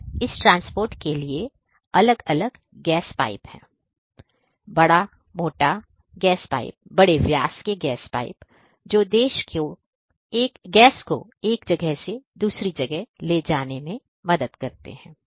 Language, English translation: Hindi, So, there are different gas pipes; big big big thick gap gas pipes of large diameters that can help in carrying the gas from one point to another